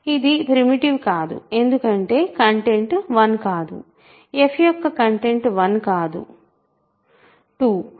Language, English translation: Telugu, This is not primitive because the content is not 1, content of f is 2 not 1